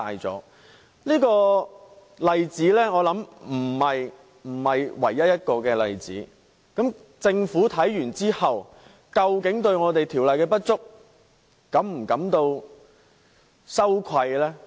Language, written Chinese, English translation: Cantonese, 我想這不是唯一的例子，政府得悉這個問題後，究竟會否對《條例》的不足感到羞愧呢？, I think this is not the only example . Will the Government not feel ashamed for the inadequacy of the Ordinance?